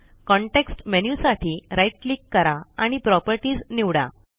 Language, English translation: Marathi, Now, right click for the context menu and select Properties